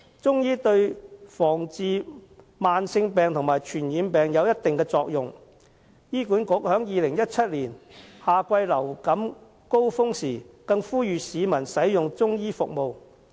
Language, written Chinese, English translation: Cantonese, 中醫對防治慢性病及傳染病有一定作用，醫管局在2017年的夏季流感高峰時更呼籲市民使用中醫服務。, Chinese medicine is rather effective in preventing and treating chronic diseases and infectious diseases . HA even asked people to use Chinese medicine services during the influenza peak season in summer 2017